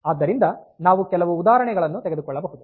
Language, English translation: Kannada, So, you can have we will take some example